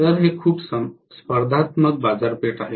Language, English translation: Marathi, It is a very competitive market